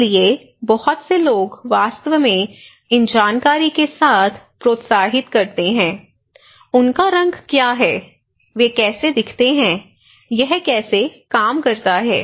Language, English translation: Hindi, So, many people actually encouraging so, with these informations; what are their colour, how they look like, how it works